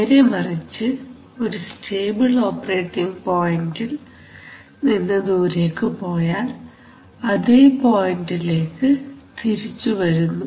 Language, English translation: Malayalam, On the other hand if you, from the stable operating point if it moves away it is going to come back to that operating point